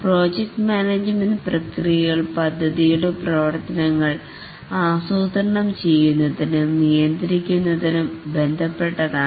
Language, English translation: Malayalam, The project management processes are concerned with planning and controlling the work of the project